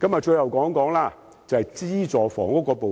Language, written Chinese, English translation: Cantonese, 最後，我想談談資助房屋。, Lastly I would like to say a few words about subsidized housing